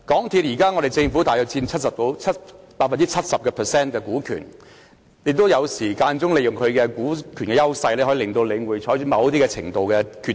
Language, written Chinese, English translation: Cantonese, 現時，政府大約佔港鐵公司 70% 股權，有時可以利用其股權的優勢，令領展採取某些決定。, At present the Government holds about 70 % of the shares of MTRCL . Sometimes it may use its dominant stake to make MTRCL come to certain decisions